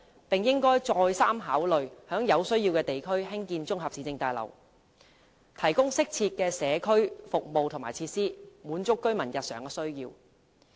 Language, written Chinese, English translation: Cantonese, 當局應再三考慮在有需要地區興建綜合市政大樓，提供適切的社區服務和設施，滿足居民日常需要。, The authorities should reconsider building municipal complexes in districts in need to provide proper community services and facilities to cater for the daily needs of residents